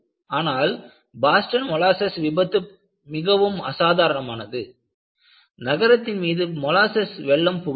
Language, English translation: Tamil, But in Boston molasses failure, very unusual, you see a flood of molasses affecting the city